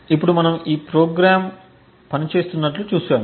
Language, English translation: Telugu, Now that we have seen these programs work